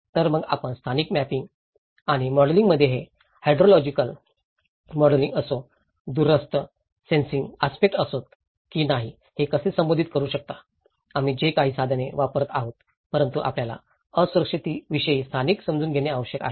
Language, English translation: Marathi, So, one, how you can address that in the spatial mapping and the modelling, whether it is a hydrological modelling, whether it is a remote sensing aspects so, whatever the tools we are using but we need to understand the spatial understanding of the vulnerability